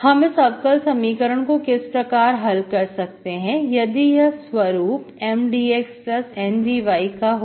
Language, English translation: Hindi, So how do we solve this differential equation, in the form, which is in the form M dx plus N dy